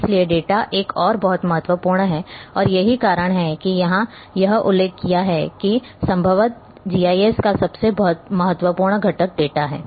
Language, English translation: Hindi, So, data is another very, very important and that is why it is mentioned here that the possibly the most important component of GIS is the data